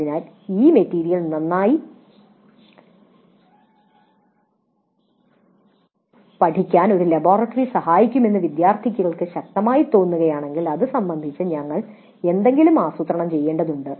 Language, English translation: Malayalam, So if the students strongly feel that a laboratory would have helped in learning that material better, then we need to plan something regarding that aspect